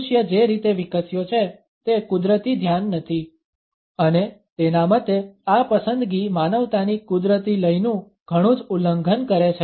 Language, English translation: Gujarati, It is not a natural focus of the way human beings have evolved and in his opinion this preference seems to violate many of humanity’s innate rhythms